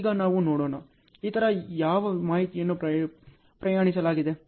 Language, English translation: Kannada, Now let us see, what other information are travelled